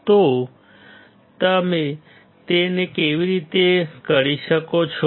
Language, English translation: Gujarati, So, how can you do that